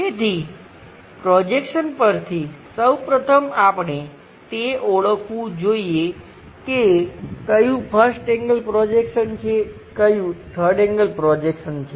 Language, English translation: Gujarati, So, from projections first of all we have to recognize which one is 1st angle projection which one is 3rd angle projection